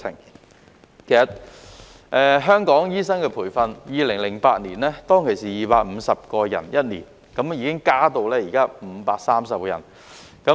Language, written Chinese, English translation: Cantonese, 其實，香港醫生的培訓，在2008年是一年培訓250人，現時已增至530人。, In fact the number of doctors trained in Hong Kong annually has increased from 250 in 2008 to 530 at present